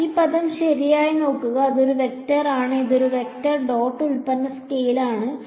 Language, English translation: Malayalam, Right look at this term this is a vector this is vector dot product scalar